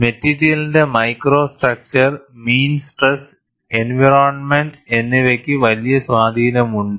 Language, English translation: Malayalam, And what are the aspects that influence the micro structure of the material, mean stress and environment have a large influence